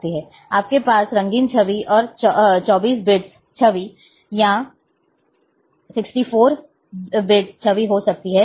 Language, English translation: Hindi, You might be having coloured image, and 24 bits image and 64 bits image